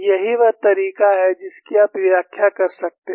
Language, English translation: Hindi, That is the way you can interpret